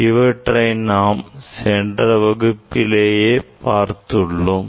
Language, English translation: Tamil, in details we have discuss in previous class